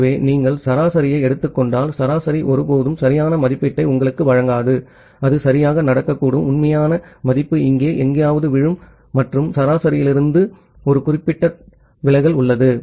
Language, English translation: Tamil, So, if you just take an average, the average will never give you a right estimation it may happen that well, the actual value falls somewhere here and there is a significant deviation from the average